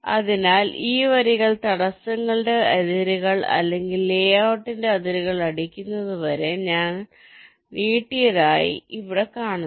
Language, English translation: Malayalam, so you see, here we have extended this lines till they either hit the boundaries of the obstructions, the obstructions, or the boundaries of the layout